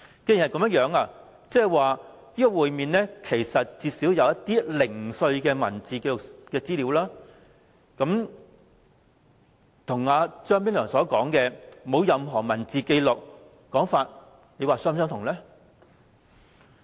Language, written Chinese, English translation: Cantonese, 既然如此，政府至少備有會面的零碎文字紀錄資料；這跟張炳良"沒有任何文字紀錄"的說法，又是否吻合？, In that case the Government should at least have some piecemeal written records of the meetings . Is this consistent with Anthony CHEUNGs statement of not having any written record?